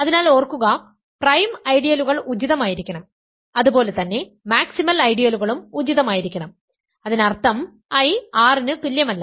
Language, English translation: Malayalam, So, remember also max prime ideals are supposed to be proper, similarly maximal ideals are supposed to be proper; that means, I is not equal to R right